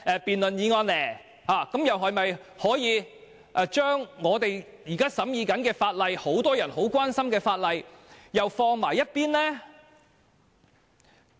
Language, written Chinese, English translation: Cantonese, 這樣的話，屆時是否又要把我們正在審議的法案和很多人關心的法例擱在一旁？, If so do we have to once again put aside the bills under scrutiny or the laws of public concern?